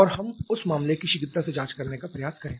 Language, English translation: Hindi, And let us try to investigate that case quickly